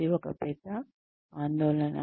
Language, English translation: Telugu, That is one big concern